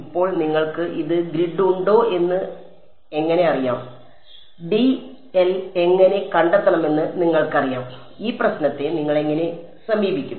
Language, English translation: Malayalam, Now how do you know whether you have grid this you know whether how find should be make dl, how would you approach this problem